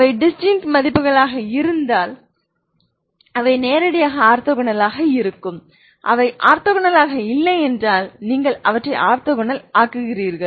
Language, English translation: Tamil, If they are distinct they are actually they are nothing but they are directly orthogonal if they are not orthogonal you make them orthogonal ok